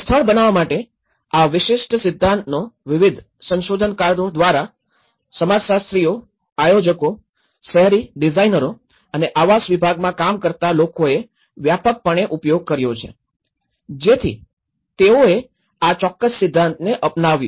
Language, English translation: Gujarati, And this particular theory of production of space has been widely used from different researchers varying from sociologists, planners, urban designers and even the people working in the housing segment so they have adopted this particular theory